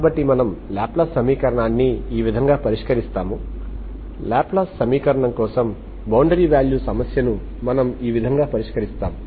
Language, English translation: Telugu, So this is how we solve Laplace equation , this is how we solve the boundary value problem for the Laplace equation